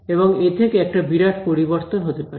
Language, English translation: Bengali, And that makes a huge difference